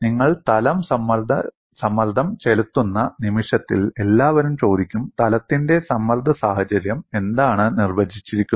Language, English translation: Malayalam, In the moment you plane stress, everybody will ask what is the plane stress situation define